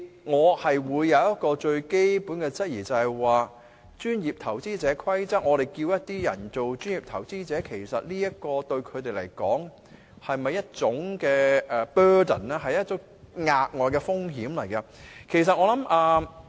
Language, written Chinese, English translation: Cantonese, 我就有一個最基本的質疑，就是按《規則》，我們叫某些人做專業投資者，其實對他們來說，這是否一種 burden， 是一種額外風險？, As for me I have just one fundamental question . When we regard certain people as professional investors under the Rules are we in fact giving them a kind of burden or plunging them into more risks?